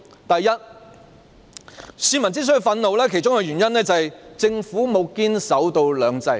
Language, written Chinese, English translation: Cantonese, 首先，市民憤怒的其中一個原因，就是政府沒有堅守"兩制"。, First a reason why the public are angry is that the Government has not firmly upheld two systems